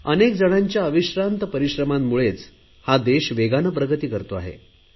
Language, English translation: Marathi, Due to tireless efforts of many people the nation is making rapid progress